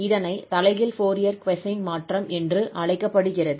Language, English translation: Tamil, So this is called the inverse Fourier cosine transform